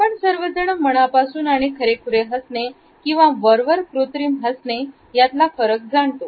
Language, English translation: Marathi, Almost all of us are able to understand the difference between a genuine smile and a synthetic or a plastic smile